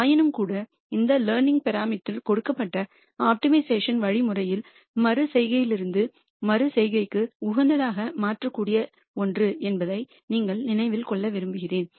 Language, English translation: Tamil, Nonetheless, I just want you to remember that this learning parameter is something that could be changed optimally from iteration to iteration in a given optimization algorithm